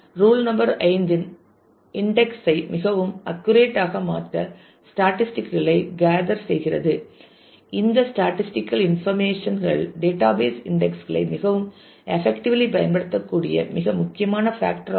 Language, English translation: Tamil, Rule number 5 gather statistics to make index usage more accurate that is a that is a very very important factor the database can use indexes more effectively if the statistical information is available